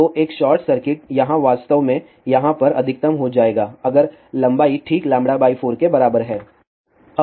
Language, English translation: Hindi, So, a short circuit here really will become maxima over here if the length is precisely equal to lambda by 4